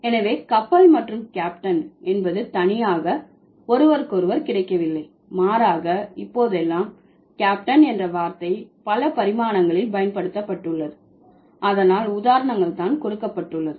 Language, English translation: Tamil, So, ship and captain, they are not exclusively available to each other, rather the word captain has been used in multiple dimensions nowadays